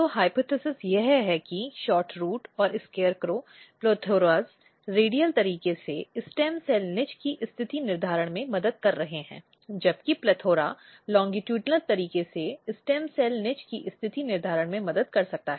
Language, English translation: Hindi, So, basically the hypothesis is that SHORTROOT and SCARECROW PLETHORAS are helping in positioning the stem cell niche in the radial manner, whereas PLETHORA’S might be helping in positioning the stem cell niche in the longitudinal manner